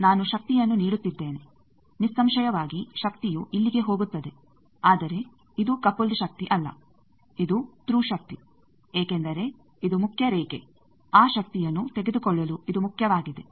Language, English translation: Kannada, I am giving power obviously, power will go here, but this is not coupled power this is through power because this is the main line this is main for taking that power